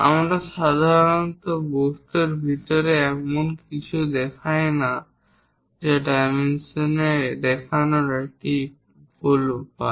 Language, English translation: Bengali, We usually do not show anything inside of the object that is a wrong way of showing the dimensions